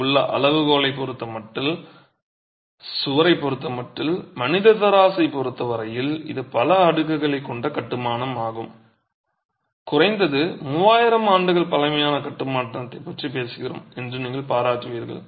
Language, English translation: Tamil, As you can see with respect to the scale there, the human scale with respect to the wall, you will appreciate that it is a multi storey construction and we are talking of a construction that is at least 3,000 years old and this sits in the middle of the desert